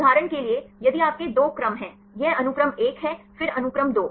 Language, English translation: Hindi, For example, if you have two sequences; this is sequence 1, then sequence 2